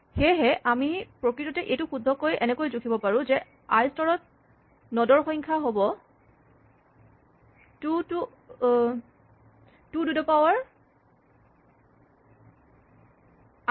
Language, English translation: Assamese, So, we can actually measure it correctly by saying that the number of nodes at level i is 2 to the i